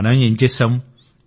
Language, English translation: Telugu, What have we made